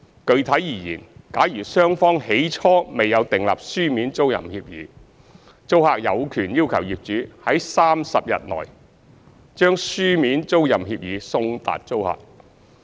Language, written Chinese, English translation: Cantonese, 具體而言，假如雙方起初未有訂立書面租賃協議，租客有權要求業主在30日內，將書面租賃協議送達租客。, Specifically if the SDU landlord and tenant have not entered into a written tenancy agreement at the outset the tenant has a right to demand a written tenancy agreement to be delivered by the landlord to the tenant within 30 days